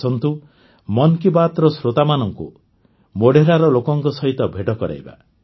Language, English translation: Odia, Let us also introduce the listeners of 'Mann Ki Baat' to the people of Modhera